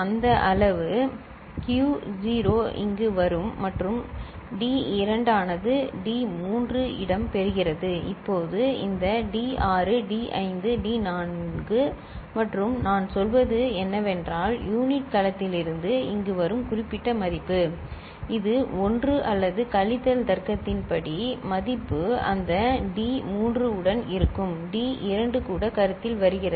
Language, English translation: Tamil, This quotient q naught comes over here right and D2 takes place of D3 right and now this D6 D5 D4 and I mean, what is you know, the particular value that comes over here from the unit cell either this one or the subtraction value as per the logic, that will be there with that D3 the D2 also comes into consideration